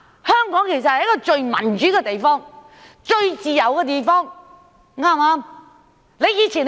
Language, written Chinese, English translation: Cantonese, 香港其實是最民主、最自由的地方，對不對？, Hong Kong is in fact a place with the highest degree of democracy and freedom am I right?